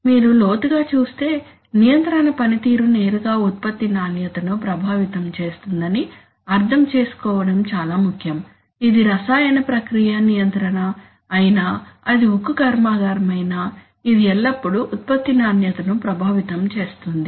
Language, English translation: Telugu, If you take a bird's eye view it is very important to understand that control performance directly affects product quality whether it is a chemical process control, whether it is a steel plant, it will always affect product quality